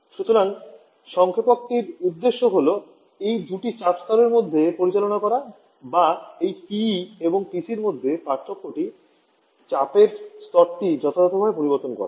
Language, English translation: Bengali, So the purpose of the compressor is to operate between these two pressure levels are to change the pressure level of the difference between this PE and PC suitably